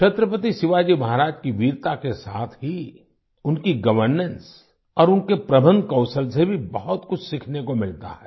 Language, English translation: Hindi, Along with the bravery of Chhatrapati Shivaji Maharaj, there is a lot to learn from his governance and management skills